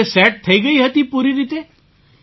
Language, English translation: Gujarati, So it got set completely